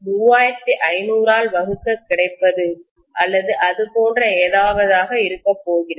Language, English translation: Tamil, 2 divided by 3500 or something like that that is how what is going to be